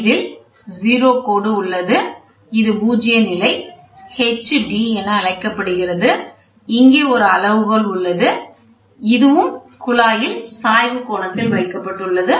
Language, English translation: Tamil, So, I here you have a 0 line this is called a zero level h d this is a scale here and here is the inclination which is there and this is the angle theta